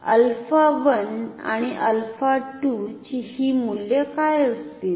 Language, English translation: Marathi, So, now what will be these values of alpha 1 and alpha 2